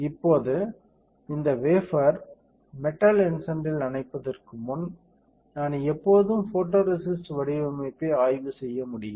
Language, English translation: Tamil, Now, before I dip this wafer in metal etchant I can always do the inspection of the photoresist patterning